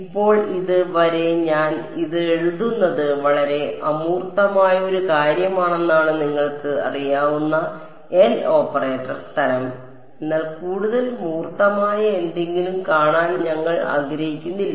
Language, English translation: Malayalam, Now, so far I have been writing this is as a very abstract you know L operator kind of thing, but we will not want to see something more concrete